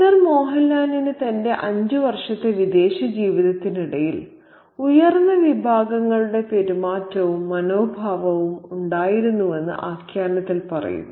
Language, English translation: Malayalam, It says, the narrative says, in his five years abroad, Sir Mohan Lal had acquired the manners and attitudes of the upper classes